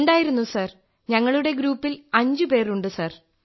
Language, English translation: Malayalam, Yes…team members…we were five people Sir